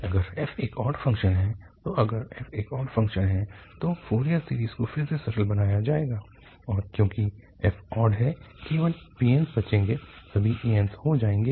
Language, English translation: Hindi, If f is an odd function, so if f is an odd function then the Fourier series will be simplified again and since this f is odd the bn's will survive, all an's will become zero